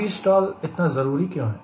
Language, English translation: Hindi, what is so important about v stall